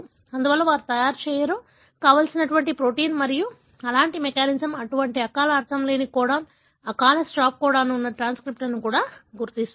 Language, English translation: Telugu, Therefore, they do not make, protein that are not desirable and such mechanism even identify transcripts that have such premature nonsense codon, premature stop codon